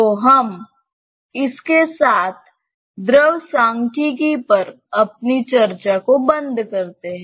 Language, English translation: Hindi, So, we close our discussion on fluid statics with this